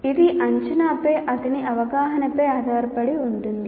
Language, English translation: Telugu, It depends on his perception of the assessment